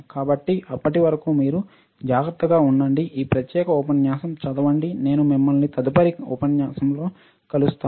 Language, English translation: Telugu, So, till then you take care; read this particular lecture, and I will see you in the next lecture